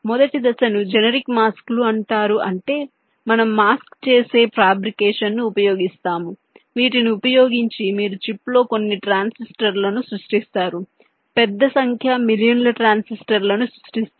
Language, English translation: Telugu, the first phase is called generic masks means we use a set of mask doing fabrication using which you creates some transistors on the chip, large number, millions of transistors